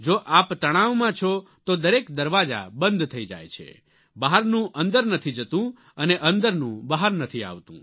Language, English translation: Gujarati, If you are tense, then all the doors seem to be closed, nothing can enter from outside and nothing can come out from inside